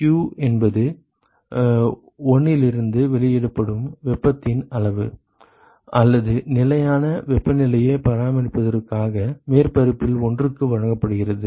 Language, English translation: Tamil, q is the amount of heat either released from 1, or it is supplied to surface one in order to maintain a constant temperature